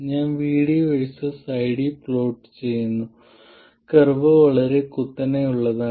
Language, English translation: Malayalam, I am plotting ID versus VD and the curve is very steep